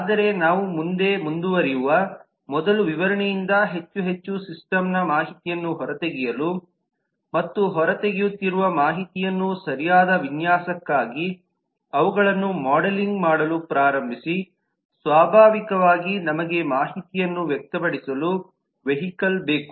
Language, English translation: Kannada, but before we proceed further on extracting more and more system information from the specification and start modelling them for proper design, we need a vehicle to express the information that we are extracting